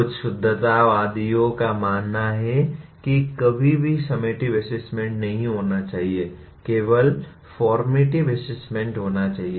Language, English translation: Hindi, Some purists believe there should never be summative assessment, there should only be formative assessment